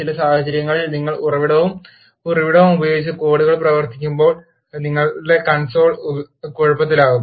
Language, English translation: Malayalam, In some cases when you run the codes using source and source with echo your console will become messy